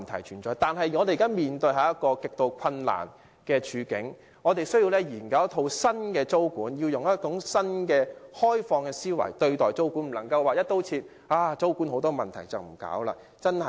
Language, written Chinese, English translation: Cantonese, 然而，我們現時面對一個極度困難的處境，需要研究一套新的租管制度，以嶄新的開放思維，不能因為租管以往有很多問題就"一刀切"放棄不做。, However we are currently faced with an extremely difficult situation which calls for exploring a new tenancy control system with a new and open mind . We should not abandon tenancy control once and for all just because it was problem - ridden in the past